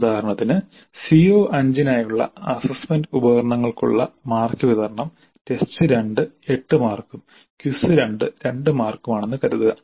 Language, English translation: Malayalam, For example, assume that the distribution of marks over assessment instruments for CO5 is test to 8 marks and quiz 2 marks